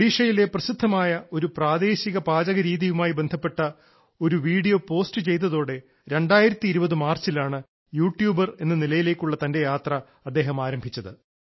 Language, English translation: Malayalam, His journey as a YouTuber began in March 2020 when he posted a video related to Pakhal, the famous local dish of Odisha